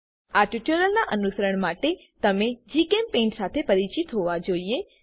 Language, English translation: Gujarati, To follow this tutorial you should be familiar with GChemPaint